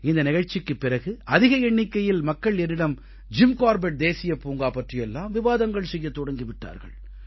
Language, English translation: Tamil, After the broadcast of this show, a large number of people have been discussing about Jim Corbett National Park